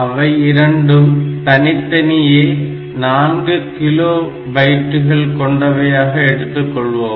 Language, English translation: Tamil, So, each of them is 4 kilobytes